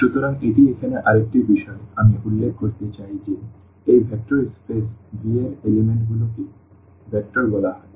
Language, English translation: Bengali, So, that is another point here I would like to mention that the elements of this vector space V will be called vectors